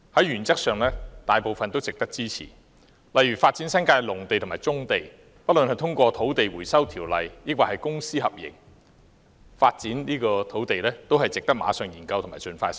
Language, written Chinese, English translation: Cantonese, 原則上，這些建議大部分也值得支持，例如發展新界的農地和棕地——不論是引用《土地收回條例》收地，抑或是通過公私合營發展土地——均值得馬上研究及盡快實施。, Most of them merit our support in principle . For example development of agricultural lands and brownfield sites in the New Territories whether it is achieved by land resumption by virtue of the Land Resumption Ordinance or through public - private partnerships merits immediate study and expeditious implementation